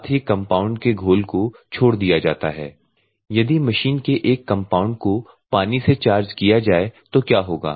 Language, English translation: Hindi, The compound solution is discharged normally what will happen if the machine is charged with a compound that and water